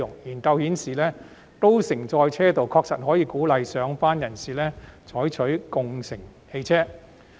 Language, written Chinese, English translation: Cantonese, 研究顯示，高乘載車道確實可以鼓勵上班人士採用汽車共乘。, Studies have indicated that HOV lanes can indeed encourage ride - sharing among commuters